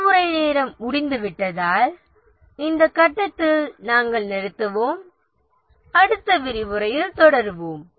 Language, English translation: Tamil, We will just stop at this point because the lecture hour is getting over and we will continue in the next lecture